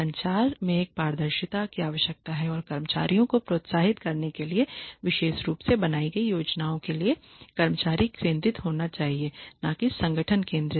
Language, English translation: Hindi, There needs to be a transparency in communication and the plans that are made for especially for incentivizing employees need to be employee centric not organization centric